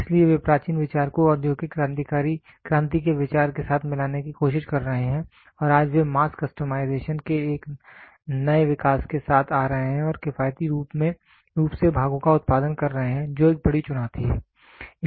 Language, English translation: Hindi, So, they are trying to take the ancient idea mix it up with the industrial revolution idea and today they are coming up with a new evolution of mass customization and produce parts economically which is a big big challenge